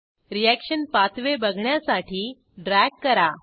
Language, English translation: Marathi, Drag to see the reaction pathway